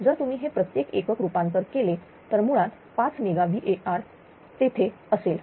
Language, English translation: Marathi, So, if you convert it to per unit, so basically 5 mega watt will be there